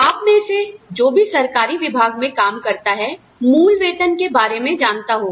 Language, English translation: Hindi, Those of you, who work in the government sector, will know, the concept of basic pay